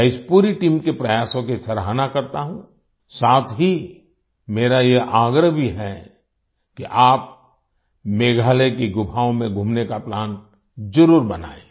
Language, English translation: Hindi, I appreciate the efforts of this entire team, as well as I urge you to make a plan to visit the caves of Meghalaya